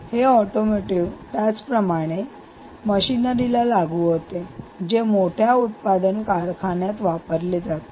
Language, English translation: Marathi, ok, this could be applicable to automotives as much to machinery, which is which is used in large manufacturing industries